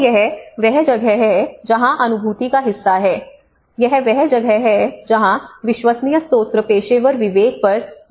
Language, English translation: Hindi, So this is where the cognition part of it, this is where the credible sources credible information on the professional discretion